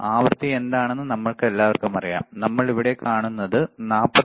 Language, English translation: Malayalam, And we all know what is the frequency, we will see